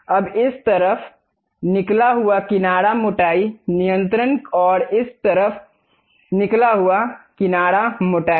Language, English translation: Hindi, Now, this side flange thickness, control and this side flange thickness